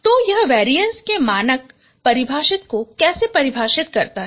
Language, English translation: Hindi, So this is how the variance is defined, the standard definition of variance